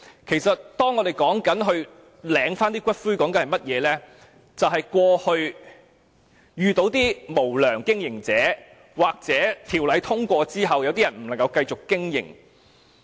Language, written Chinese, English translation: Cantonese, 其實，提出領回骨灰，是鑒於過去曾有無良經營者，又或在《條例草案》通過後一些龕場不能再繼續經營。, In fact the proposal on claiming for the return of ashes of a deceased person is made in the light of the practices of some unscrupulous columbarium operators in the past or the anticipation that some columbaria cannot continue to operate after the passage of the Bill